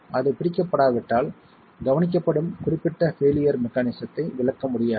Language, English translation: Tamil, If that is not captured, the specific failure mechanism that is observed cannot be explained